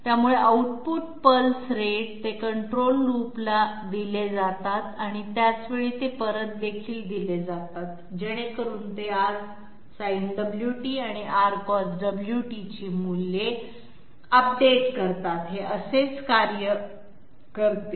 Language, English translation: Marathi, So output pulse rate, they are fed to the control loops, at the same time they are also fed back so that they update the values of R Sin Omega t and R Cos Omega t, this is how it works